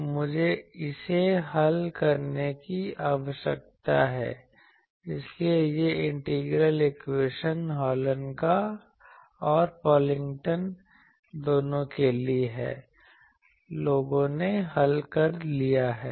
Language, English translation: Hindi, So, I need to solve it; so this integral equation for both Hallen’s and Pocklington’s, people have solved